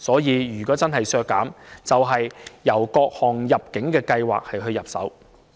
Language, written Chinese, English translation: Cantonese, 如果真的要削減開支的話，就應該從各項入境計劃入手。, If any expenditure is to be reduced indeed we should start with various immigration schemes